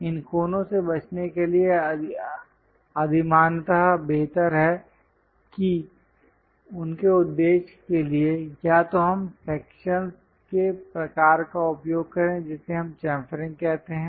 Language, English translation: Hindi, These corners preferably better to avoid them so, for their purpose, either we use cut kind of sections that is what we call chamfering